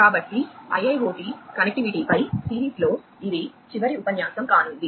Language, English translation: Telugu, So, this is going to be the last lecture in the series on connectivity for IIoT